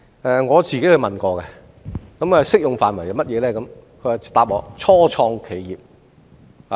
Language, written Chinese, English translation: Cantonese, 我也親自向該基金查詢有關適用範圍，它回答我要是初創企業。, I have made an enquiry with the fund about the scope of application and the reply I got is that the product is only applicable to start - ups